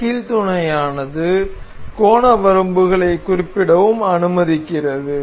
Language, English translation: Tamil, This hinge mate also allows us to specify angle limits